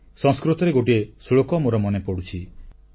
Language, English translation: Odia, I am reminded of one Sanskrit Shloka